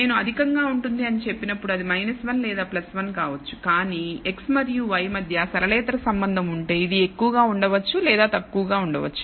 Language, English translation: Telugu, When I say high it can be minus 1 or plus 1, but if there is a non linear relationship between x and y it may be high or it may be low